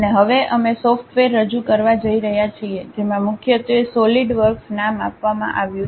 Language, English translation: Gujarati, And now, we are going to introduce about a software, mainly named solidworks